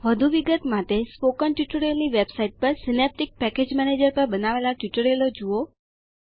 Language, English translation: Gujarati, For details, watch the tutorial on Synaptic Package Manager available on the Spoken Tutorial website